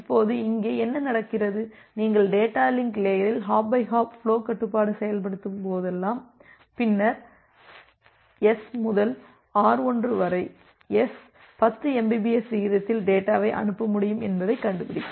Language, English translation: Tamil, Now, what happens here that whenever you are implementing this hop by hop flow control at the data link layer, then from S to R1, the S finds out that well I can send the data at a rate of 10 mbps